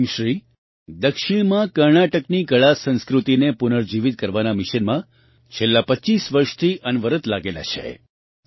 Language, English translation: Gujarati, In the South, 'Quemshree' has been continuously engaged for the last 25 years in the mission of reviving the artculture of Karnataka